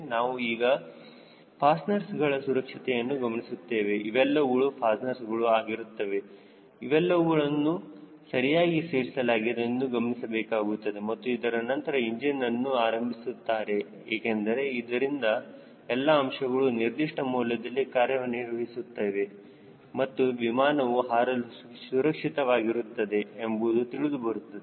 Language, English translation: Kannada, we will check for the security of these fasteners these are the fasteners whether the fasteners are properly secured, and it will be followed by a proper engine ground run up to see whether all the parameters are within the range and the aircraft is safe for flight